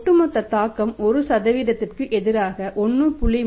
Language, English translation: Tamil, Overall impact is expected to be 1